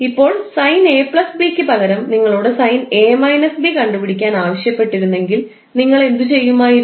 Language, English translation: Malayalam, Now instead of sine a plus b, if you are asked to find out the value of sine a minus b, what you have to do